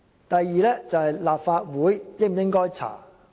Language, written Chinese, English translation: Cantonese, 第二，立法會應否調查事件？, Secondly should the Legislative Council inquire into this incident?